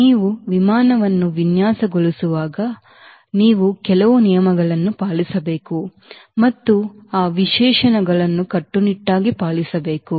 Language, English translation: Kannada, when you are designing a an aircraft, you have to follow some regulations and you have to follow strictly those as specifications